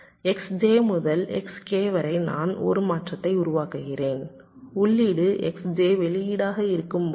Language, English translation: Tamil, so, from s i to s k, we make a transition when the input is x i and the output is z k